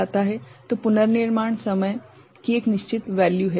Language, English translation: Hindi, So, reconstruction time a has a certain value right